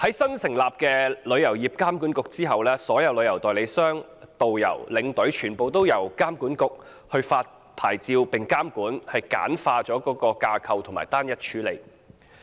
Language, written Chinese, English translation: Cantonese, 新成立旅監局之後，所有旅行代理商、導遊、領隊，全都由旅監局發出牌照並監管，簡化架構，單一處理。, Following the establishment of a new TIA all travel agents tourist guides and tour escorts will be issued licences and regulated by TIA